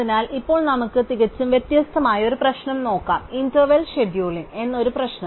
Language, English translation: Malayalam, So, now let us look at a completely different problem, a problem called interval scheduling